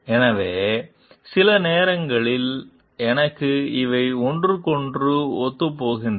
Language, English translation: Tamil, So, sometimes these to me coincide with each other